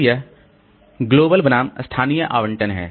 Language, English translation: Hindi, Then this global versus local allocation